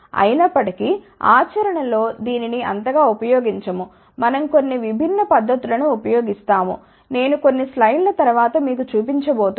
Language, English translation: Telugu, However, in practice that is not used we use some different method which I am going to show you in the next few slides